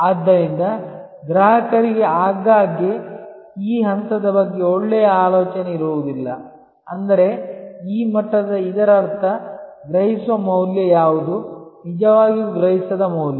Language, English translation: Kannada, So, customer therefore, often does not have the good idea about this level; that means, of this level; that means, what is the perceive value, really perceived value